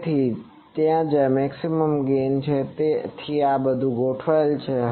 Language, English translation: Gujarati, So, where this is the maximum gain, so this is all aligned